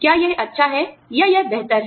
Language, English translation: Hindi, Is this good, or is this better